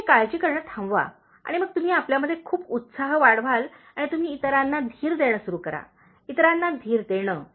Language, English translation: Marathi, You stop worrying and then you develop lot of enthusiasm in you and you start reassuring, giving reassurance to others